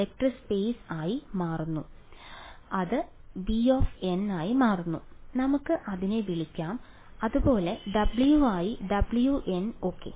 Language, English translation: Malayalam, So, it becomes V N let us call it and similarly W becomes W N ok